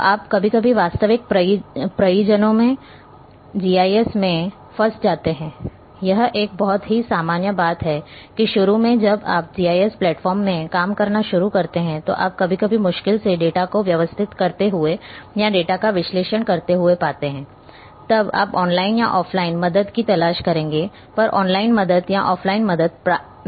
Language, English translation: Hindi, So, you sometimes when you are stuck in GIS in real projects, this is a very common thing that initially when you start working in GIS platforms, you find sometimes difficultly while inputting the data organizing the data or analyzing the data then you would look for help online help or offline help may not be sufficient